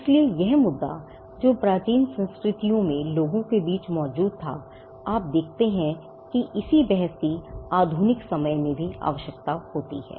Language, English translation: Hindi, So, this issue that existed between the people in the ancient cultures you see that it also the same debate also requires in the modern times